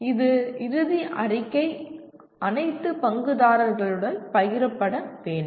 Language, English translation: Tamil, And these final statement should be shared with all stakeholders